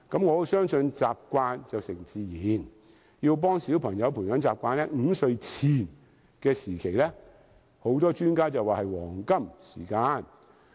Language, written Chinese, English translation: Cantonese, 我相信習慣成自然，很多專家表示，要幫助小朋友培養習慣 ，5 歲前是黃金時間。, I believe habit makes things natural . A lot of experts have indicated that we should help children to nurture their habits . Children under the age of 5 are at the golden period of learning